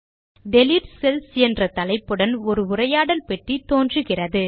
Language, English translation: Tamil, A dialog box appears with the heading Delete Cells